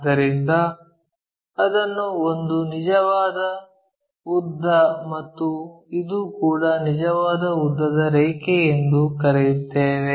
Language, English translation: Kannada, So, let us call this one true length, this is also true length lines